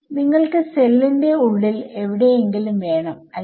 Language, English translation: Malayalam, Yeah you want somewhere inside the cell right